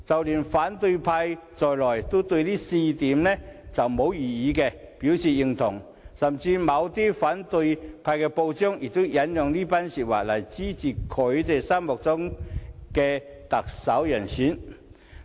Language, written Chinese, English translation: Cantonese, 連反對派亦對這4項標準沒有異議，表示認同，而某些反對派報章甚至引用這番言論，以支持心目中的特首人選。, Even the opposition camp agrees with and has no objection to these four prerequisites . Some opposition newspapers have even made use of this remark to support their favourite Chief Executive candidates